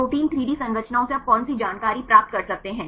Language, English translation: Hindi, Which information you can obtained from protein 3D structures